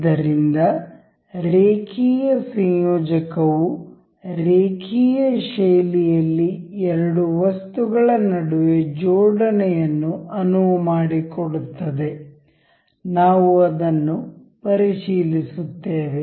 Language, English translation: Kannada, So, linear coupler allows a coupling between two items in an linear fashion; we will check that